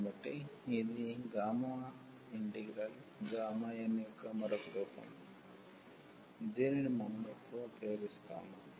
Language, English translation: Telugu, So, this is another form of this gamma integral which we will use now